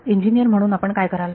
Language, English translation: Marathi, As an engineer, what would you do